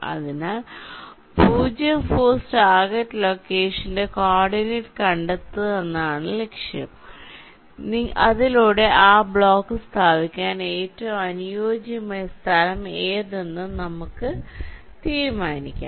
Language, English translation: Malayalam, so our objective is to find out the coordinate of the zero force target location so that we can decide which is the best location to place that block